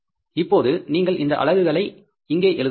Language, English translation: Tamil, Now we will put the units here